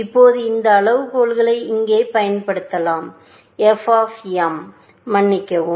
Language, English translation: Tamil, Now, we can apply this criteria here, f of m, sorry